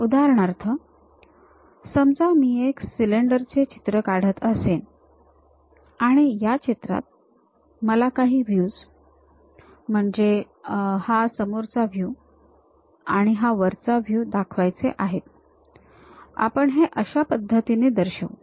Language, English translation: Marathi, For example, if I am drawing a cylinder; in drawing if I would like to represent, perhaps the views will be the front view and top view of that, we represent it in that way